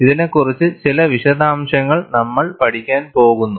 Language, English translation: Malayalam, We are going to learn certain details about it